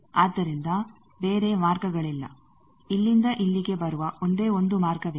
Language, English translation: Kannada, So, there are no other path only one path where coming from here to here